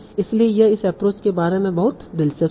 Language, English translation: Hindi, So this was very very interesting about this approach